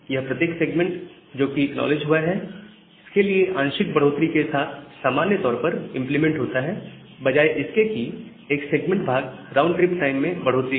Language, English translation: Hindi, So, it is usually implemented with a partial increase for every segment that is being acknowledged, rather than an increase of one segment part RTT